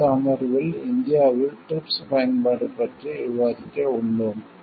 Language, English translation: Tamil, In the next session, we are going to discuss about the application of TRIPS in India